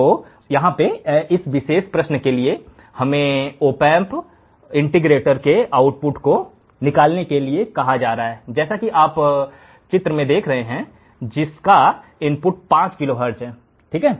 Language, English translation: Hindi, So, here for this particular problem, what we are asked to find the output for the opamp integrator shown in figure for an input of 5 kilohertz